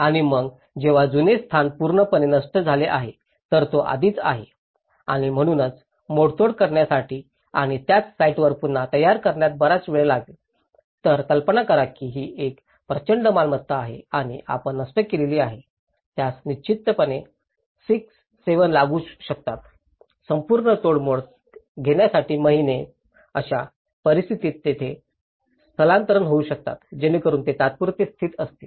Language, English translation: Marathi, And then when the old location is completely destroyed, if it is already and therefore to remove the debris and rebuild on the same site will take too much of time, imagine it is a huge property and you destroyed, it obviously may take 6, 7 months to take the whole debris so, in that case, that is where they can look for a relocation, so that they can temporarily be located